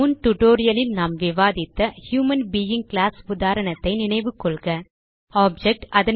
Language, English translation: Tamil, Recall the example of human being class we had discussed in the earlier tutorial